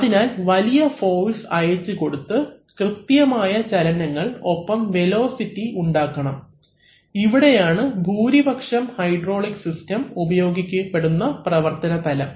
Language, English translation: Malayalam, So, high force has to be transmitted and precise displacements and velocities have to be created, that is the basic area where hydraulic systems find majority of its applications